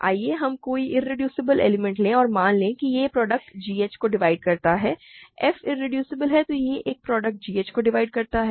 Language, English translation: Hindi, Let us take any irreducible element and suppose it divides a product g h, f is irreducible it divides a product g h